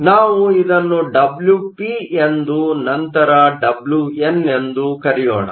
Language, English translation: Kannada, So, let me call this Wp and then Wn